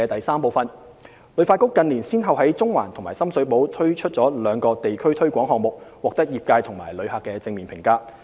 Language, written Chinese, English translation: Cantonese, 三旅發局近年先後在中環及深水埗推出了兩個地區推廣項目，獲得業界和旅客正面評價。, 3 In recent years HKTB launched two district programmes in Central and Sham Shui Po and received positive feedback from the travel trade and visitors